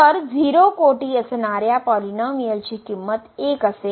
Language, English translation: Marathi, So, the polynomial of degree 0 will be simply 1